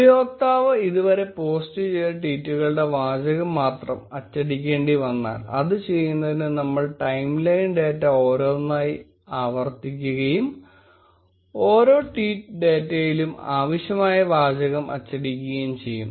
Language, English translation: Malayalam, What if we had to print only the text of the tweets which the user has posted so far, to do that, we are going to iterate over timeline data one by one and print the text available in each tweet data